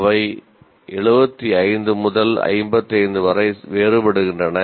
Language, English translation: Tamil, So they vary anywhere from 75 to 55